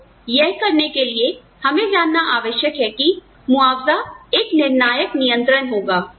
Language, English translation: Hindi, So, in order to do this, we need to recognize that, compensation is going to be a pivotal control